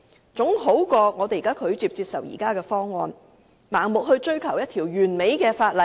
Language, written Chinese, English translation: Cantonese, 這總比拒絕接受現時的方案，盲目追求一項完美的法例好。, This is better than refusing to accept the present proposal and blindly going after a perfect legislation